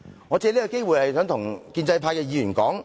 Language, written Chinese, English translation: Cantonese, 我想藉此機會跟建制派議員說......, I would like to take this opportunity to say to the pro - establishment Members